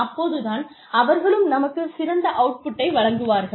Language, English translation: Tamil, So, that they can give us, their best output